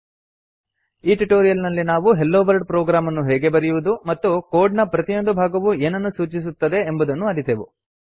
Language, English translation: Kannada, In this tutorial we have learnt, how to write a HelloWorld program in java and also what each part of code does in java code